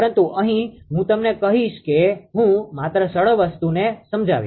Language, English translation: Gujarati, But here I will tell you that just I will explain that simple thing